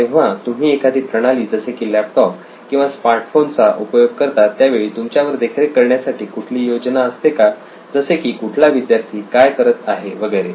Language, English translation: Marathi, Okay, so when you are using a system like a laptop or a smart phone to take, is there anyone monitoring you like what is so and so person doing